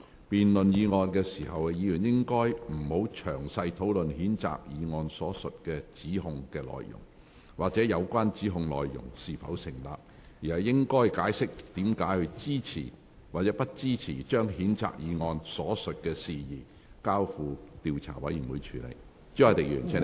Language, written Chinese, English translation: Cantonese, 辯論該議案時，議員不應詳細討論譴責議案所述的指控內容，或有關指控是否成立，而應解釋為何支持或不支持將譴責議案所述的事宜，交付調查委員會處理。, In the course of debate Members should not dwell on the accusations set out in the censure motion or the validity of such accusations . Instead Members should explain whether they are for or against referring the matters in the censure motion to an investigation committee